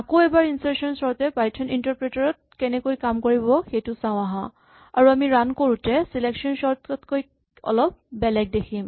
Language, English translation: Assamese, Once again let us see how insertion sort actually works in the python interpreter and we will see something slightly different from selection sort when we run it